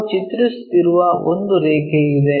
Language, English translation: Kannada, There is a line if we are drawing